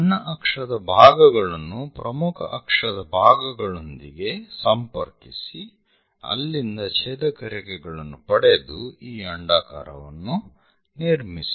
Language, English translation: Kannada, Connect minor axis elements with major axis elements and get the intersection lines from there construct this ellipse